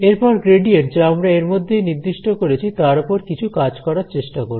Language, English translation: Bengali, Moving on, now let us try to work with this gradient that we have defined